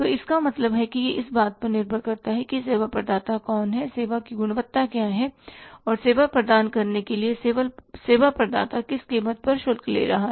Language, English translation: Hindi, So, it means it depends upon who is the service provider, what is the quality of the service and what price the service provider is charging for providing the service